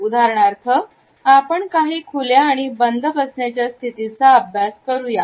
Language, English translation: Marathi, We can for instance look at the open and close sitting situations